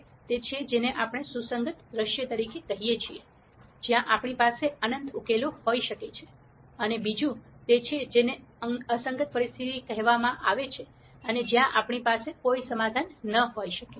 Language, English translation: Gujarati, One is what we call as a consistent scenario, where we could have in nite solutions, and the other one is what is called the inconsistent scenario where we might have no solution